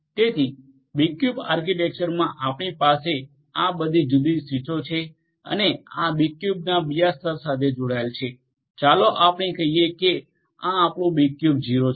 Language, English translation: Gujarati, So, in the B cube architecture you have all this different switches and these will be connected to another level of B cube the let us say that this is your B cube 0